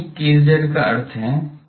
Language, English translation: Hindi, What is the meaning of a imaginary k z